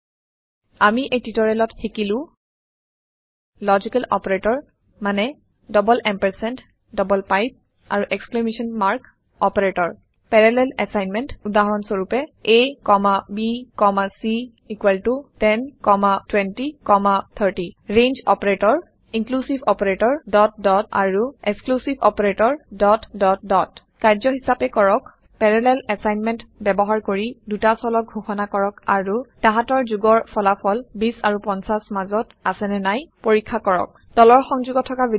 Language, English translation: Assamese, In this tutorial, we have learnt Logical operator i.e double ampersand, double pipe and exclamation mark operators Parallel assignment Ex: a,b,c=10,20,30 Range Operator Inclusive operator (..) and Exclusive operator(...) As an assignment Declare two variables using parallel assignment and Check whether their sum lies between 20 and 50 Watch the video available at the following link